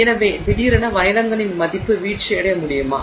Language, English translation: Tamil, So, is it suddenly possible that the value of diamonds could fall